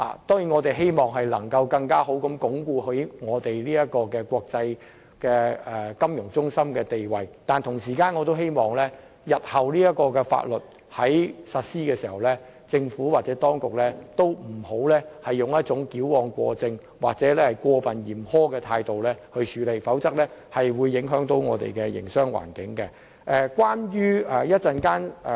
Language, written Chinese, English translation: Cantonese, 當然，我們希望在鞏固國際金融中心的地位之餘，也希望這項法例在日後實施時，政府當局不會採取矯枉過正或過分嚴苛的態度，否則可能會影響我們的營商環境。, It is surely our wish to reinforce Hong Kongs position as an international financial centre but we also hope that after the legislation comes into force the Administration will not overdo or be overly stringent as this may being adverse effects to our business environment